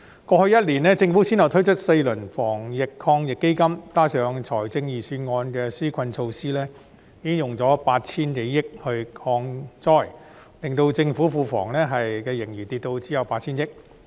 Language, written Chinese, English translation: Cantonese, 過去1年，政府先後推出4輪防疫抗疫基金，加上財政預算案的紓困措施，已經用了 8,000 多億元抗災，令政府庫房盈餘減少至只有 8,000 億元。, The Government launched four rounds of the Anti - epidemic Fund in the past year . Coupled with the relief measures in the Budget it has spent some 800 billion on anti - epidemic work reducing the fiscal surplus of the Government to a mere of 800 billion